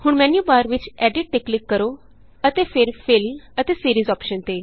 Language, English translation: Punjabi, Now click on the Edit in the menu bar and then on Fill and Series option